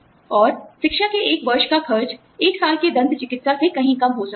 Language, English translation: Hindi, And, one year of education may cost, much lesser than, one year of dental care